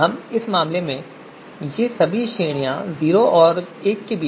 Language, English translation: Hindi, All these ranges are anyway going to be between zero and one